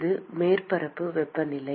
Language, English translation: Tamil, This is the surface temperature